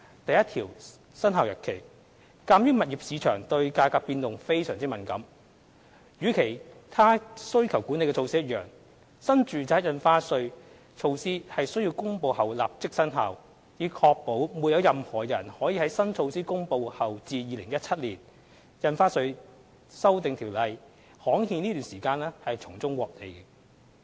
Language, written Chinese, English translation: Cantonese, 第1條─生效日期鑒於物業市場對價格變動非常敏感，與其他需求管理措施一樣，新住宅印花稅措施須於公布後立即生效，以確保在新措施公布後至《條例草案》刊憲期間，沒有人可從中獲利。, Clause 1―Commencement Given the price - sensitive nature of the property market the New Residential Stamp Duty as in the cases of other demand - side management measures must take immediate effect upon its announcement so as to ensure that no one can profit from the period between the announcement of the new measure and the gazettal of the Bill